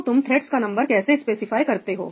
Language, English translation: Hindi, how do you specify the number of threads